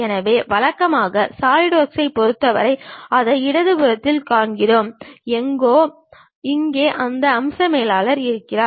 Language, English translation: Tamil, So, usually for Solidworks we see it on the left hand side, somewhere here we have that feature manager